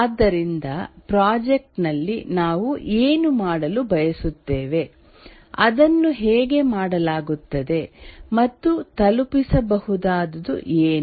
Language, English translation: Kannada, So, what we want to do in the project, how it will be done and what will be the deliverable